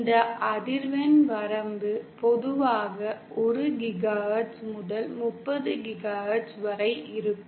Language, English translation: Tamil, This frequency range is usually between 1 GHz to 30 GHz